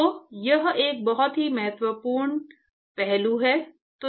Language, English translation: Hindi, So, it is a very important aspect